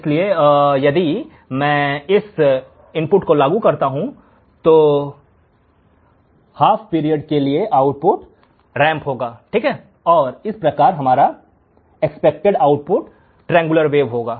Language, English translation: Hindi, So, if I apply this input, the output for each of these half period would be ramped and thus the expected output would be triangular wave